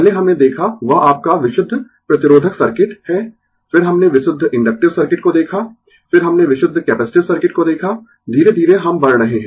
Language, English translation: Hindi, First we saw that is your purely resistive circuit, then we saw purely inductive circuit, then we saw purely capacitive circuit, step by step we are moving